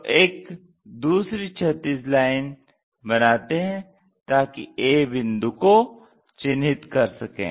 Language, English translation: Hindi, So, draw another horizontal line to locate a' point